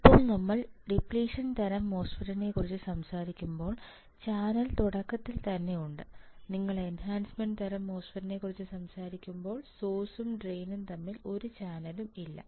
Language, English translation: Malayalam, Now when we talk about depletion type MOSFET, the channel is already there in the beginning, when you talk about enhancement type MOSFET there is no channel between source and drain